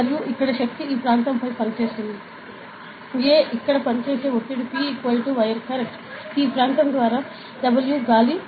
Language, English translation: Telugu, And this force acts on this area A so, the pressure acting over here P will be is equal to W air correct, W air by this area